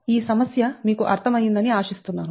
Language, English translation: Telugu, i hope this problem is you have understood right